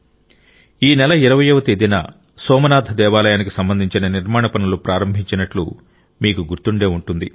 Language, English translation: Telugu, You must be aware that on the 20th of this month the construction work related to Bhagwan Somnath temple has been dedicated to the people